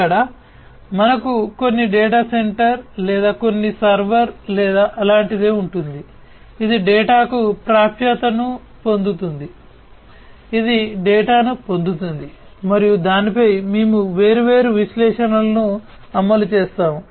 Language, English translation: Telugu, And this is where we will have some data center or simplistically some server or something like that which will get access to the data, which will acquire the data, and we will run different analytics on it, right